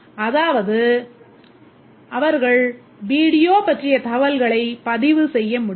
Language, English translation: Tamil, That is they should be able to record the information about the video